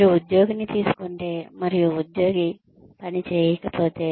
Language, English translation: Telugu, If you take in an employee, and the employee does not perform